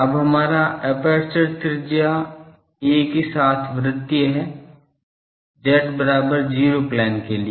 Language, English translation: Hindi, Now, our aperture is circular with radius a in z is equal to 0 plane